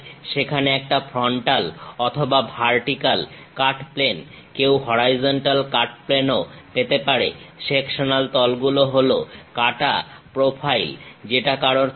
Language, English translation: Bengali, There are frontal or vertical cutting plane; one can have horizontal cut plane also, sectional planes are profile cut one can have